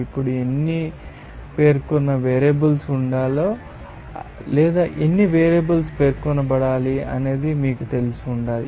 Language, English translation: Telugu, Now, how many specified variables to be there or how many variables to be specified that should be you know known to you